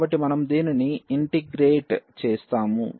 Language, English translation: Telugu, So, when we integrate this